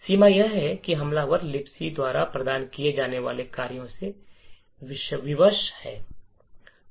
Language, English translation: Hindi, The limitation is that the attacker is constraint by the functions that the LibC offers